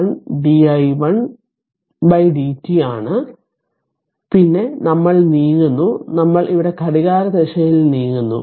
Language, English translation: Malayalam, 5 di 1 upon dt then we are moving we are moving here clockwise